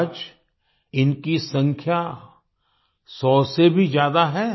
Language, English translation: Hindi, Today their number is more than a hundred